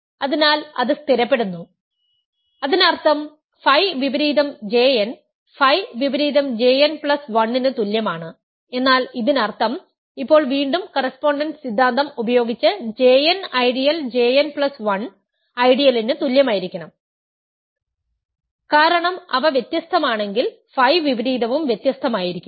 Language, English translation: Malayalam, Now, that is an ascending chain in R, but R is noetherian so, it stabilizes; that means, phi inverse J n is equal to phi inverse J n plus 1, but that means, now again using the correspondence theorem, the ideals J n must equal the ideal J n plus 1 because if they were different the phi inverse would also be different ok